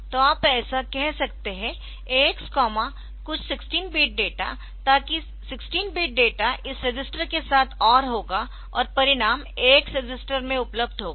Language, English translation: Hindi, So, you can say like or say AX comma some 16 bit data, so that 16 bit data will be OR with this register bit by bit, and the result will be available in the AX register